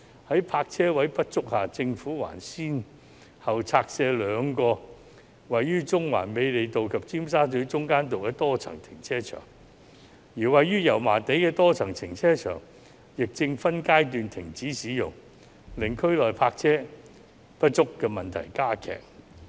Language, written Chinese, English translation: Cantonese, 在泊車位不足下，政府還先後拆卸兩個位於中環美利道及尖沙咀中間道的多層停車場，而位於油麻地的多層停車場亦正分階段停止使用，令區內泊車位不足的問題加劇。, Despite the shortage of parking spaces the Government has still demolished the multi - storey car parks on Murray Road in Central and on Middle Road in Tsim Sha Tsui . Meanwhile the multi - storey car park in Yau Ma Tei is also being phased out thus aggravating the shortage of parking spaces in the area